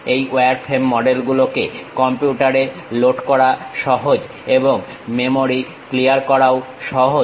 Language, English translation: Bengali, These wireframe models are easy to load it on computer and clear the memory also